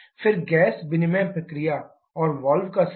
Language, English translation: Hindi, Then the gas exchange process and the valve timing